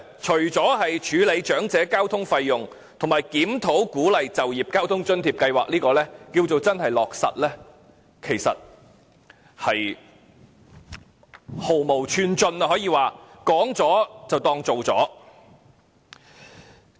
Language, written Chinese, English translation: Cantonese, 除了處理長者交通費用，以及檢討鼓勵就業交通津貼計劃等落實之外，其餘可說是毫無寸進，說了便當成做了。, Apart from addressing the travelling expenses of the elderly and reviewing the Work Incentive Transport Subsidy Scheme the rest has made no progress at all . It is as though the mere mention of expectations was as good as having them fully fulfilled